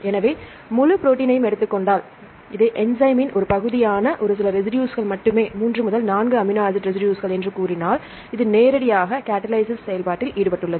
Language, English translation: Tamil, So, if we take the full protein, only a few residues, a portion of this enzyme, say 3 to 4 amino acid residues, this is directly involved in the catalysis right